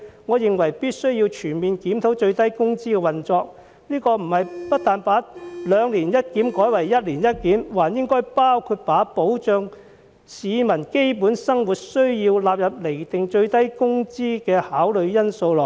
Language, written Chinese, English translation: Cantonese, 我認為必須全面檢討最低工資制度的運作，不但應把兩年一檢改為一年一檢，還應把保障市民基本生活需要納入釐定最低工資的考慮因素內。, I find it necessary to conduct a comprehensive review of the operation of the minimum wage system . Not only should the frequency of review be changed from biennially to annually the requirement of guaranteeing peoples basic livelihood should also be included as a factor of consideration in determining the minimum wage